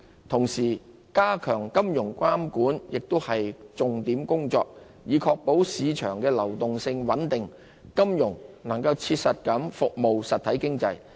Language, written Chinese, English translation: Cantonese, 同時，加強金融監管亦是重點工作，以確保市場流動性穩定，金融能切實服務實體經濟。, Enhancing financial regulation meanwhile is also a priority geared towards ensuring steady market liquidity and a financial regime that serves the real economy in practice